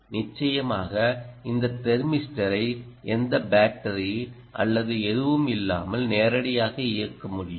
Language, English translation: Tamil, surely you will be able to drive this thermistor ah directly, without any battery or anything, with this electronics